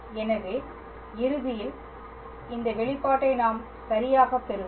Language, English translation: Tamil, So, ultimately we will obtain this expression all right